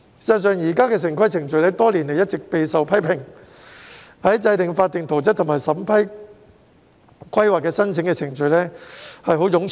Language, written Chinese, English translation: Cantonese, 事實上，現時的城市規劃程序多年來一直備受批評，制訂法定圖則和審批規劃申請的程序十分冗長。, In fact the current town planning process has been criticized for many years for its lengthy process in making statutory plans and vetting planning applications